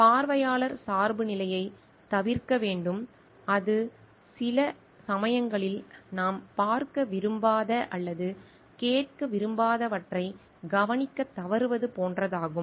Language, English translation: Tamil, We need to avoid observer bias and that is like we sometimes felt to notice what we do not want to see or expect to hear